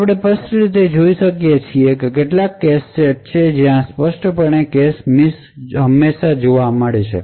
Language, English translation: Gujarati, So we can actually clearly see that there are some cache sets where clearly cache misses are always observed